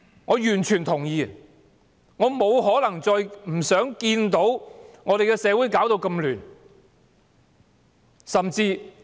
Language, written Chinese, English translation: Cantonese, 我完全同意這點，亦不願看到社會亂象持續。, I totally agree to this . And I for one also hate to see the persistence of the social unrest